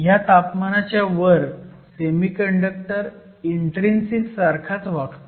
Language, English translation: Marathi, Above this temperature, a semiconductor essentially behaves as an intrinsic temperature